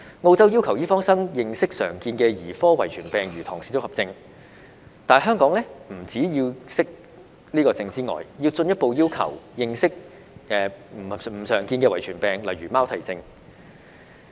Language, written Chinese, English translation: Cantonese, 澳洲要求醫科生認識常見的兒科遺傳病，如唐氏綜合症，但香港除了要求醫科生認識這個病症之外，更進一步要求他們認識非常見的遺傳病，如貓啼症。, In Australia medical students are required to understand common paediatric genetic diseases such as Downs syndrome but medical students in Hong Kong are required to understand not only this disease but also some rare genetic diseases such as Cri du chat syndrome